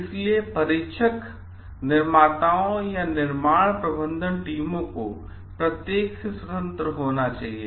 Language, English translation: Hindi, So, testers, manufacturers or construction management teams, they should be independent of each others